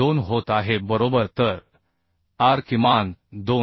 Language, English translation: Marathi, 02 right So r minimum is 2